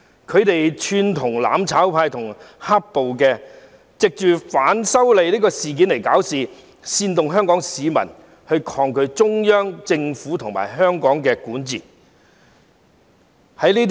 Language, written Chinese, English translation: Cantonese, 它們串同"攬炒派"和"黑暴"，藉反修例事件搞事，煽動香港市民抗拒中央政府和香港的管治。, They have conspired with the mutual destruction camp and the rioters to using the anti - legislative amendment incident stir up trouble and incite Hong Kong people to resist the Central Government and the governance of Hong Kong